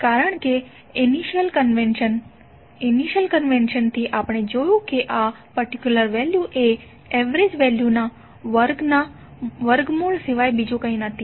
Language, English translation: Gujarati, Because from the initial convention we have seen that this particular value is nothing but root of square of the mean value